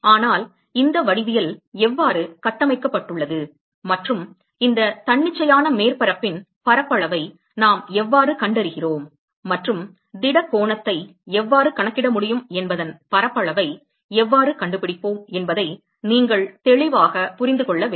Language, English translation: Tamil, But you must clearly understand how this geometry is constructed and how we find the surface area of the how we find the area of this arbitrary surface and how we are able to calculate the solid angle